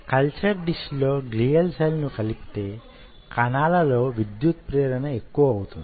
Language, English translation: Telugu, you will see, addition of glial cell in a culture dish increases the electrical excitability of the cells